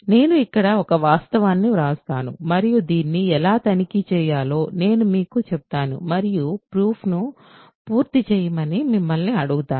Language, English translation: Telugu, I will write a fact here and you can I will tell you how to check this and ask you to complete the proof